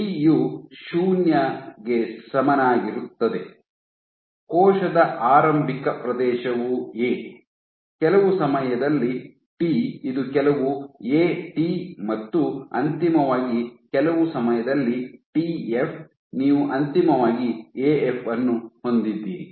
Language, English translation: Kannada, At t equal to 0, the initial area of the cell is A, at some time t it is some A t and finally, at some time t f, you have a final of A f